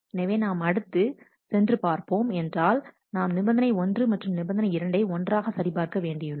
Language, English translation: Tamil, So, moving on with that now next we check condition 1 and condition 2 together